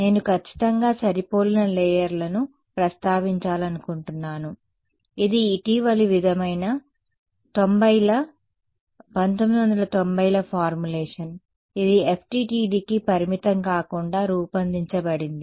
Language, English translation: Telugu, One thing I want to mention this perfectly matched layers, it is a recent sort of formulation 90’s 1990’s is been it was formulated it is not restricted to FDTD